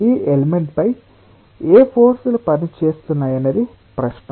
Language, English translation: Telugu, question is: what forces are acting on this element